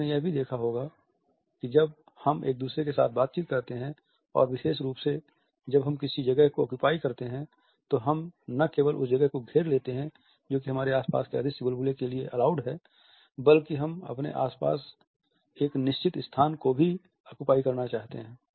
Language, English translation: Hindi, So, you might have also noticed that when we interact with each other and particularly when we occupy a seating space, we not only occupy the place which is allowed to us by the invisible bubble around us, but at the same time we also want to occupy certain space around us